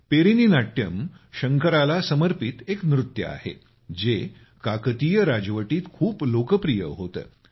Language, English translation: Marathi, Perini Natyam, a dance dedicated to Lord Shiva, was quite popular during the Kakatiya Dynasty